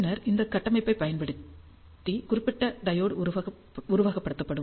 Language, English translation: Tamil, And then this particular diode will be simulated using this configuration